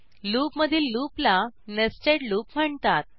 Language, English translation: Marathi, A loop within a loop is known as nested loop